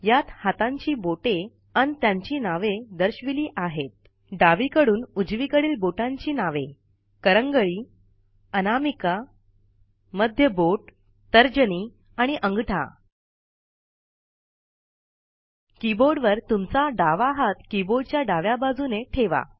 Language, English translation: Marathi, Fingers, from left to right, are named: Little finger, Ring finger, Middle finger, Index finger and Thumb On your keyboard, place your left hand, on the left side of the keyboard